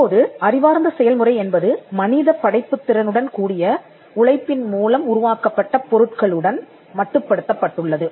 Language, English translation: Tamil, Currently an intellectual process is confined to the products that come out of human creative labour